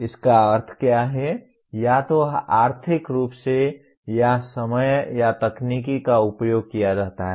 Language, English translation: Hindi, What does it mean either economically or the time taken or the technology is used